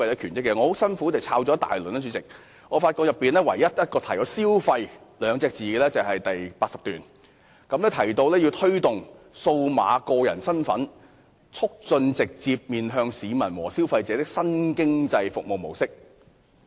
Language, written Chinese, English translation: Cantonese, 主席，我很辛苦找了很久，發現只在第80段提到"消費"二字，內容提到要推動"數碼個人身份"，"促進直接面向市民和消費者的新經濟服務模式"。, President after making strenuous effort I can only find the word consumers in paragraph 80 where reference is made to promoting eID foster the development of a new economic service model that place emphasis on direct interface with residents and consumers